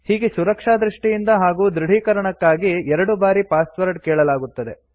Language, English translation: Kannada, The password is asked twice for security reasons and for confirmation